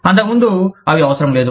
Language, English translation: Telugu, They were not necessary, earlier